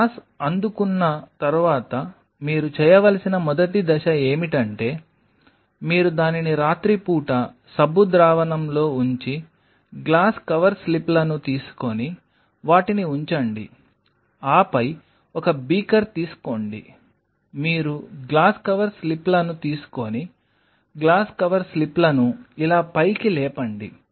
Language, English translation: Telugu, The first step what one should do upon receiving the glass is you put it in a soap solution overnight step one, take the glass cover slips and put them in then take a beaker you take the glass cover slips raise the glass cover slips like this in a soap solution